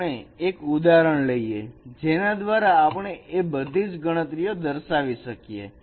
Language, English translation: Gujarati, So let us consider an example by which we can show all these computations